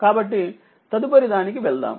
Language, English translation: Telugu, So, next will go to that